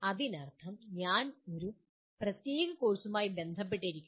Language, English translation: Malayalam, That means I am associated with a particular course